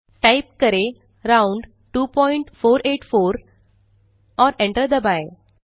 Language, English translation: Hindi, 1.type round(2.484, and press enter